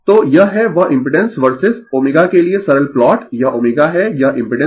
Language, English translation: Hindi, So, this is that simple plot for impedance verses your omega, this is omega, this is impedance right